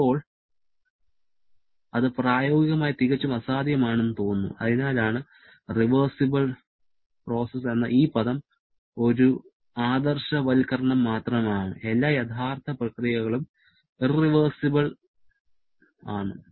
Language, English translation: Malayalam, Now, that is practically looking quite impossible and that is why irreversible or reversible processes, the term is only an idealization; all real processes are irreversible in nature